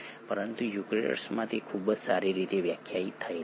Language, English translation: Gujarati, But it is very well defined in the eukaryotes